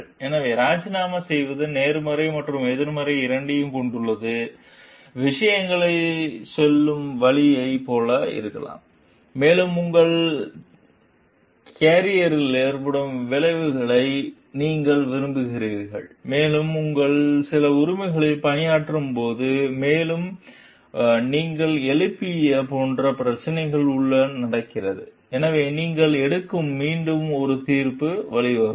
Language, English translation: Tamil, So, resigning has both positive and negative maybe like ways of saying things, and you like the effect on your carrier, and like working on some of your rights, and what happens with the like issue that you have raised, so and that may lead to a judgment again that you take